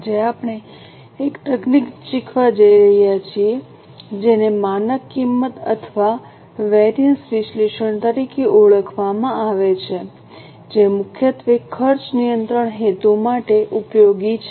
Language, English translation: Gujarati, Today we are going to learn a technique known as standard costing or variance analysis that is primarily useful for cost control purposes